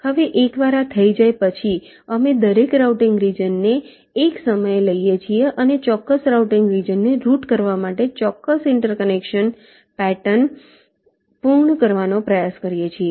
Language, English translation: Gujarati, now, once this is done, we take every routing regions, one at a time, and try to complete the exact inter connection patterns to route that particular routing region